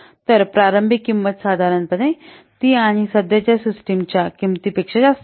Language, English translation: Marathi, So the initial cost, normally it will exceed than that of the cost of the current system